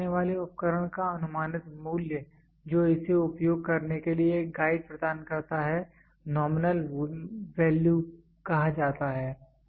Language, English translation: Hindi, The approximate value of a measuring instrument that provides a guide to use it is called as nominal value